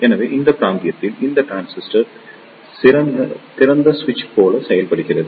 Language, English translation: Tamil, So, in this region this transistor acts like a open switch